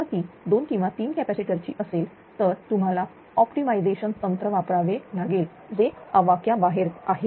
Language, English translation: Marathi, If it is 2 or 3 capacitors then of course, you have to go for some optimization technique that is the beyond the scope, right